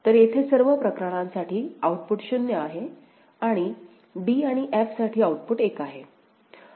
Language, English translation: Marathi, So, output is 0 for all the cases here right and output is 1 for d and f